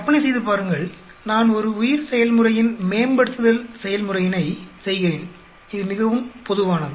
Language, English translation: Tamil, Imagine, I am doing a process optimization of a bioprocess, this is very common